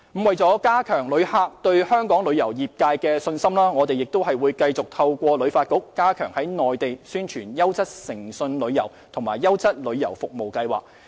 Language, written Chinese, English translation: Cantonese, 為了加強旅客對香港旅遊業界的信心，我們會繼續透過旅發局加強在內地宣傳優質誠信旅遊和"優質旅遊服務"計劃。, We will continue to support HKTB in stepping up the publicity of quality and honest tourism and the Quality Tourism Services Scheme in the Mainland to bolster visitors confidence in Hong Kongs tourism trade